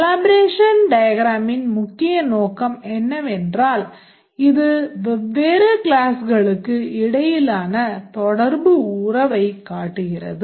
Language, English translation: Tamil, The main purpose of the collaboration diagram is that it shows the association relation between different classes